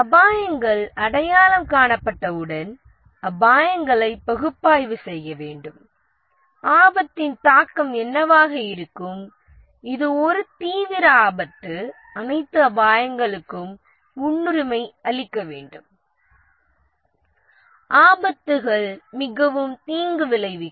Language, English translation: Tamil, And once the risks have been identified, need to analyze the risks, what will be the impact of the risk, which is a serious risk, need to prioritize all the risks that which risks are the most damaging and then the risk planning